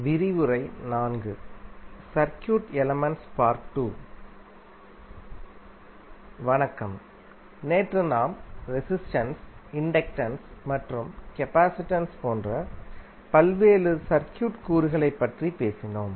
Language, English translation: Tamil, Namashkar, yesterday we spoke about the various circuit elements like resistance, inductance and capacitance